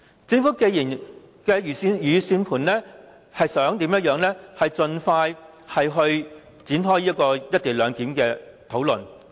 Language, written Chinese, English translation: Cantonese, 政府一直以來的如意算盤，就是要盡快展開"一地兩檢"的討論。, It has all along been the Governments plan to launch the discussion on the co - location arrangement as soon as possible